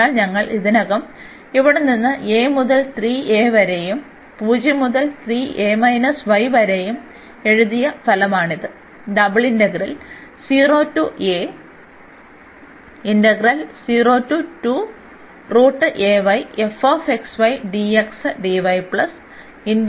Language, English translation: Malayalam, So, this is the result which we have written already here from a to 3 a and 0 to 3 a minus y